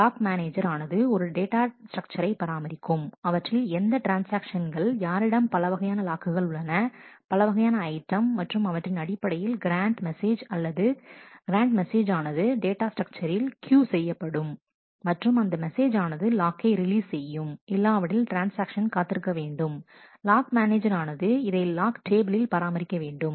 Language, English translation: Tamil, And the lock manager maintains a data structure to maintain what are the transactions, who are holding different locks on different items and based on that the grant messages are queued on that data structure and, these messages actually release the locks and, otherwise the transaction has to wait the lock manager maintains this as a lock table